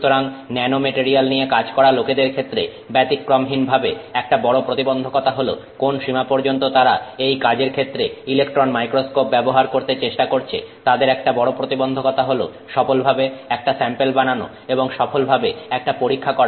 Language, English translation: Bengali, So, invariably one of the biggest challenges for people working with nanomaterials to the extent that they are trying to use the electron microscope for this activity, one of the biggest challenges is for them to make a successful sample and make a successful experiment